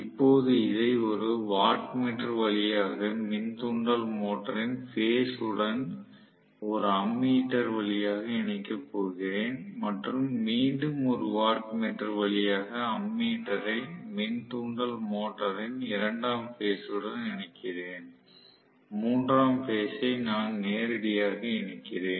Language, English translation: Tamil, Now, I am going to connect this through let us say a watt meter to the phases of the induction motor along with an ammeter and second phase let me say again I am connecting through a watt meter to the second phase of the induction motor, third phase I am going to connect it directly